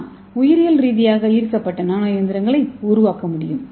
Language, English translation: Tamil, So we can make the biologically inspired nano machines